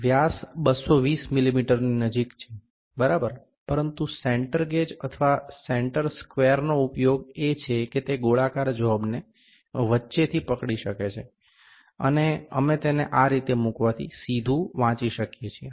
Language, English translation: Gujarati, The diameter is closed to 220 mm, ok, but the use of center gauge or center square is that it can hold the circular job in between, and we can directly read while placing it like this